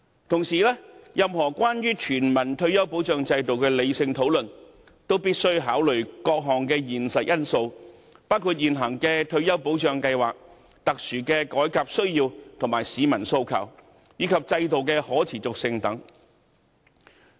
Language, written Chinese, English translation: Cantonese, 同時，任何有關全民退休保障制度的理性討論，也必須考慮各項現實因素，包括現行的退休保障計劃、特殊的改革需要和市民訴求，以及制度的可持續性等。, Moreover any rational discussion on universal retirement protection should consider various realistic factors such as the existing retirement protection scheme special reform needs and public aspirations as well as the sustainability of the system